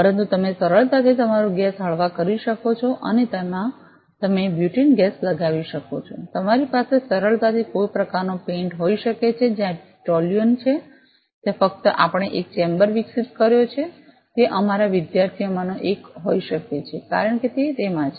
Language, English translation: Gujarati, But you can easily have your gas lighter and you can put butene gas in it you can easily have some kind of paint, where toluene is there so just we have developed a chamber may be one of our students will explain it better because she is in the way of in the processing of developing it